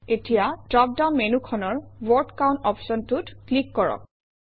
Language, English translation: Assamese, Now click on the Word Count option in the dropdown box